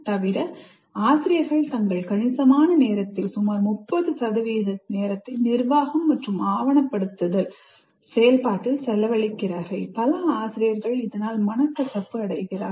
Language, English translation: Tamil, And besides this, considerable amount of the teachers time, about 30% is spent in administration and documentation activity, which many teachers resent